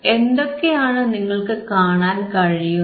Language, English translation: Malayalam, So, what are you are able to see